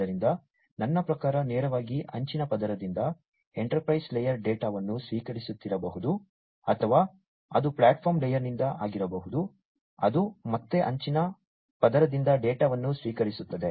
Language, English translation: Kannada, So, I mean directly from the edge layer, the enterprise layer could be receiving the data or it could be from the platform layer, which again receives the data from the edge layer